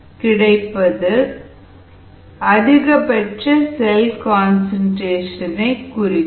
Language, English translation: Tamil, so this is the expression for the maximum cell concentration